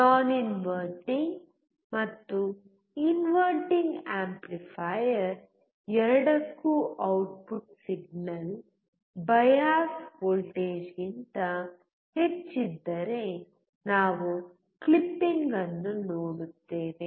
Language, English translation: Kannada, For both non inverting and inverting amplifier, if the output signal is more than the bias voltage, we see a clipping